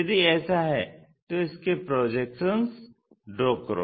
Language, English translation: Hindi, If that is the case draw its projections